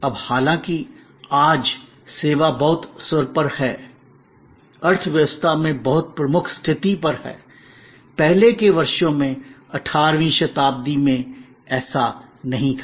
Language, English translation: Hindi, Now, though today, service has very paramount, very prominent position in the economy, in the earlier years, in 18th century, it was not so